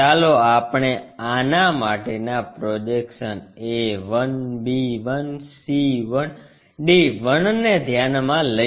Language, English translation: Gujarati, Let us consider this a projection one a 1, b 1, c 1, d 1